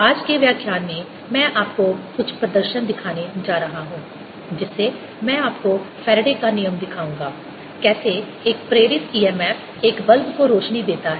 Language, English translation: Hindi, in today's lecture i am going to show you some demonstrations whereby i'll show you faraday's law, how an induced e m f lights a bulb